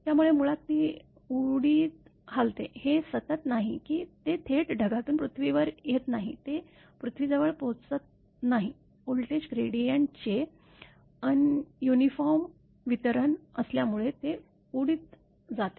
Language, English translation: Marathi, So, basically it moves in a jump; it is not a continuous that directly it is not coming from the cloud to the earth, it is not reaching near the earth; it moves in a jump because of that are un uniform distribution of the voltage gradient